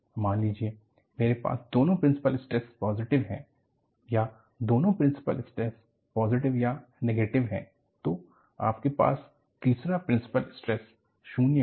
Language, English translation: Hindi, Suppose, I have both the principal stresses are positive, when both the principal stresses are positive or negative, you have the third principal stress as 0